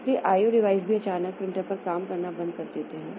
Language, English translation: Hindi, O devices also all on a sudden printer stops working